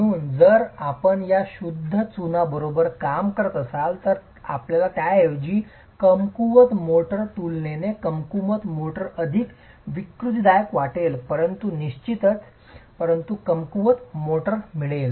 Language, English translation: Marathi, So line will, if you are working with just pure lime, you're going to get rather weak motor, relatively weak motor, more deformable probably, but definitely but weaker motor